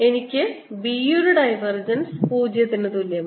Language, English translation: Malayalam, divergence of b is equal to zero